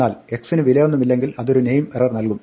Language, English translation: Malayalam, But x if it has no value it will give a name error